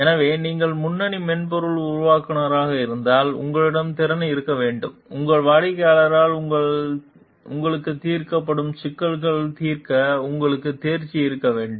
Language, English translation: Tamil, So, if your lead software developer, then you must have the capability, you must have the competency to solve the problems that are addressed to you by your clients